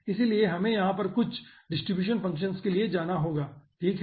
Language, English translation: Hindi, okayso, we have to go for some distribution functions over here